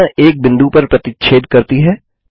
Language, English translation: Hindi, The diagonals intersect at a point